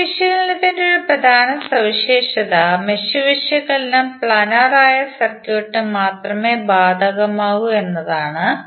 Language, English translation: Malayalam, One of the important property of mesh analysis is that, mesh analysis is only applicable to the circuit that is planer